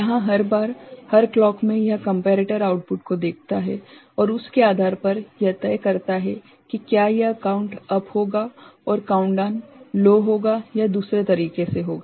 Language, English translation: Hindi, Here every time, in every clock it looks at this comparator output and based on that ok, it decides whether this count up will be high and countdown will be low or the other way ok